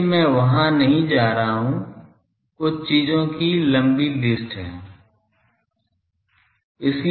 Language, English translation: Hindi, So, I am not going there are some long list of things